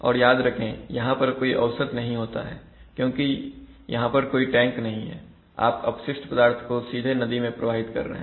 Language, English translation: Hindi, So now remember that there is no averaging strictly speaking, because of the fact that there is no tank you are actually directly releasing the effluent into the river